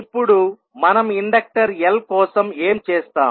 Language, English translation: Telugu, Now, for the inductor l what we will do